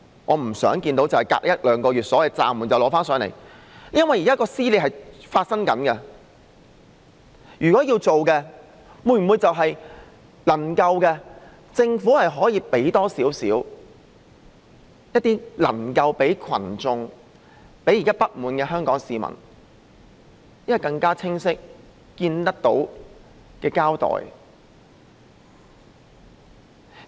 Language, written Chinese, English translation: Cantonese, 我不想看到所謂暫緩一兩個月後，又再提交上來，因為現時的撕裂正在發生，政府是否能夠給群眾及現時不滿的香港市民一個更清晰及看得見的交代？, I do not wish to see that after the so - called suspension for a month or two the Bill is submitted again . The dissension is developing now . Can the Government not give a clearer and more noticeable explanation to the public and the discontented Hong Kong citizens?